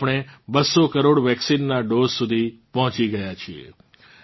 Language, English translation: Gujarati, We have reached close to 200 crore vaccine doses